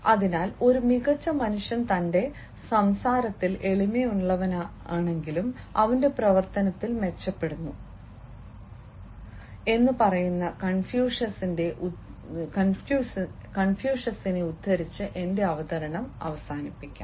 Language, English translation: Malayalam, so let me also wind up my presentation by quoting confucius, who says: a superior man is modest in his speech but exceeds in his action